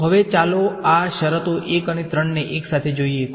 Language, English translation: Gujarati, So, now, let us look at these terms 1 and 3 together